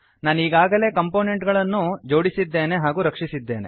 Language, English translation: Kannada, I have already interconnected the components and saved it